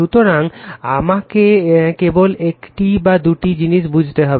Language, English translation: Bengali, So, I just we have to understand one or two few things right